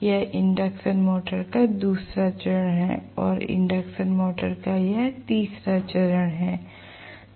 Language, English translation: Hindi, This is the second phase of the induction motor and this is the third phase of the induction motor